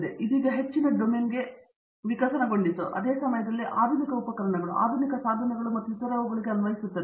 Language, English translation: Kannada, But now evolved to more encompassing, more domain; same time apply to modern tools, modern devices and so on